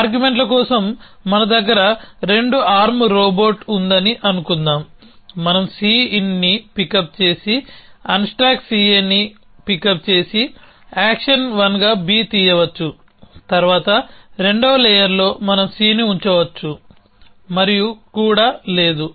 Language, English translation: Telugu, So, let say we have 2 arm robot for arguments, say we can pick up C in and pick and pick up and pick up the unstack C A and pick up B in as action 1, then at the second layer we can put down C and also no